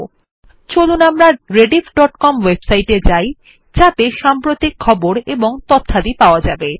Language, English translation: Bengali, For now, as an example, let us go to Rediff.com website that has the latest news and information